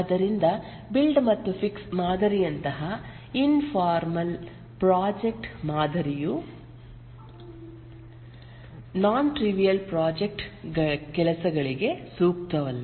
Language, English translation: Kannada, So an informal project model like a build and fixed model is not suitable for non trivial project work